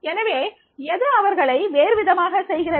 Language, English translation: Tamil, So, what is making them different